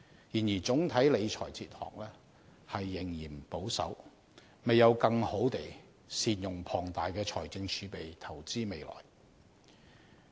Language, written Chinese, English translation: Cantonese, 然而，總體理財哲學仍嫌保守，未有更好地善用龐大的財政儲備投資未來。, Nevertheless the overall financial management philosophy is still somewhat conservative as large fiscal reserves are not properly used for investing in the future